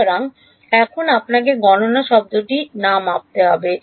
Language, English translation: Bengali, So, now, you have to use the word compute not measure